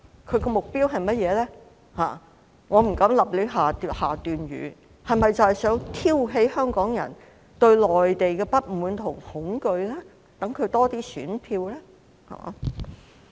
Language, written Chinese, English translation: Cantonese, 我不敢胡亂判斷，他是否想挑起香港人對內地的不滿和恐懼，好讓他得到多些選票呢？, I dare not make arbitrary judgments . Does he want to provoke Hong Kong peoples dissatisfaction with and fear of the Mainland so that he can get more votes?